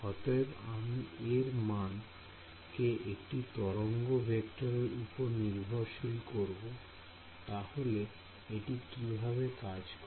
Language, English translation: Bengali, I have made the amplitude to be dependent on the wave vector does this work